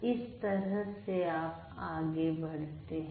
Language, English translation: Hindi, So, that is how you have to proceed